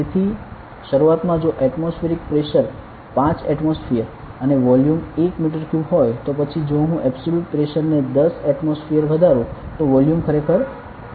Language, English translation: Gujarati, So, initially, if the atmospheric pressure was 5 atmosphere and volume was 1 meter cube then if I increase the pressure to say 10 atmospheric absolute pressure the volume will decrease actually, to how much to 0